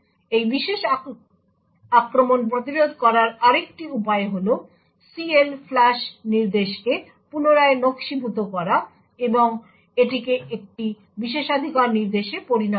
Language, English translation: Bengali, Another way of preventing this particular attack is to redesign the instruction CLFLUSH and make it a privilege instruction